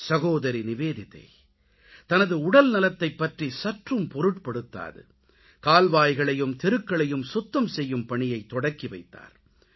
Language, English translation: Tamil, Sister Nivedita, without caring for her health, started cleaning drains and roads